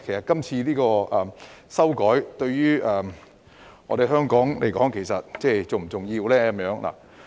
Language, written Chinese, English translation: Cantonese, 今次這項修訂法例對於香港是否重要呢？, Is the current legislative amendment important to Hong Kong?